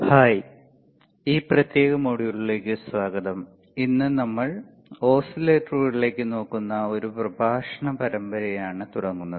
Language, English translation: Malayalam, Hi, welcome to this particular module and this is a lecture series where that we are looking at oscillator’s right